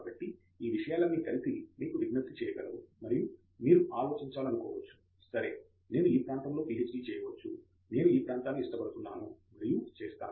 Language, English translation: Telugu, So, all these things together can appeal to you and then you might want to think, ok; I can do a PhD in this area, I like this area and do it